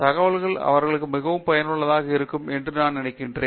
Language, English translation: Tamil, I think a lot of information you have shared will be very useful for them